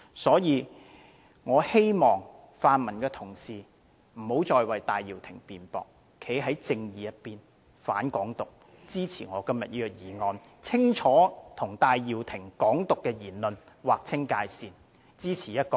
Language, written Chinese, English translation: Cantonese, 因此，我希望泛民的同事不要再為戴耀廷辯駁，應站在正義的一方，反對"港獨"，支持我今天的議案，清清楚楚地與戴耀廷的"港獨"言論劃清界線，支持"一國兩制"。, For this reason I hope Honourable colleagues in the pan - democratic camp will stop speaking in defence of Benny TAI . They should stand on the side of justice oppose Hong Kong independence and support my motion today making a clean break with Benny TAIs remarks on Hong Kong independence and supporting one country two systems